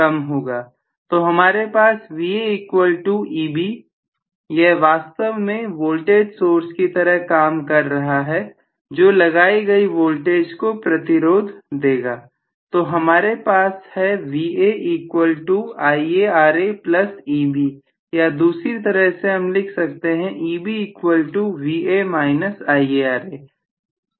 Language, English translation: Hindi, So, that is less by what amount that will be less by Ia Ra, so I am going to have Va equal to Eb which is actually working like a voltage source which is opposing the applied voltage, so I am going to have Va equal to IaRa plus Eb or on the other hand I can write Eb equal to Va minus IaRa which I can again write this is some K If omega or k dash phi omega, Right